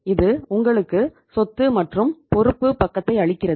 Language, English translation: Tamil, This is giving you the asset and the liability side